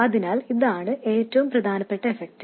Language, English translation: Malayalam, So, this is the most important effect